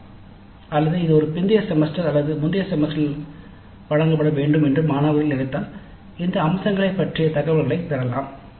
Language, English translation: Tamil, Or if the students feel that it must be offered in a later semester or earlier semester, we could get information on these aspects